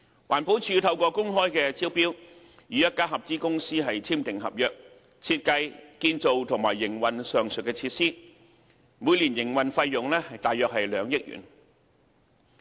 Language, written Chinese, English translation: Cantonese, 環境保護署透過公開招標，與一家合資公司簽訂合約，設計、建造及營運上述設施，每年營運費用約2億元。, The Environmental Protection Department has also awarded through open tender to a joint venture enterprise a contract to design build and operate the aforesaid WEEETRF and the operating cost involved is approximately 200 million per annum